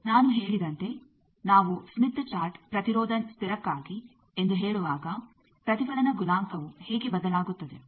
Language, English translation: Kannada, As I said that when we are saying smith chart is for constant impedance how the reflection coefficient vary